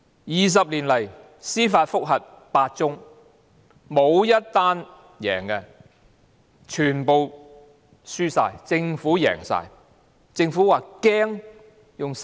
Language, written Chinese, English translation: Cantonese, 二十年來，司法覆核有8宗，沒有1宗成功，全部均敗訴，政府全部勝訴。, Over the past two decades there have been eight judicial review cases none of which has succeeded . All these cases were defeated and the Government won all of them